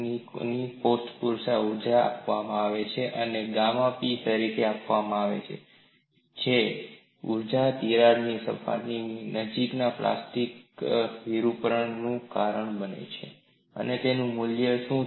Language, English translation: Gujarati, And this table also gives another energy which is given as gamma P, which is the energy, required to cause plastic deformation near the cracked surface and what is it is value